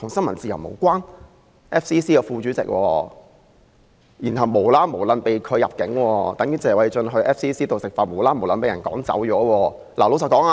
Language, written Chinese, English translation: Cantonese, 馬凱是 FCC 的副主席，無故被拒入境，情況等同謝議員在 FCC 用膳時無故被趕走一樣。, Victor MALLET Vice President of FCC was refused entry to Hong Kong for no reason . That is similar to Mr TSE being expelled for no reason from FCC when he was having a meal there